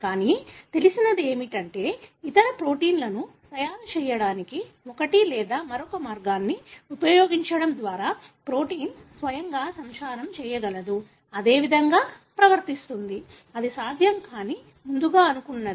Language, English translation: Telugu, But, what is known is that the protein can itself propagate, by using one or the other way of making other proteins, behave the same way; that is something earlier thought to be not possible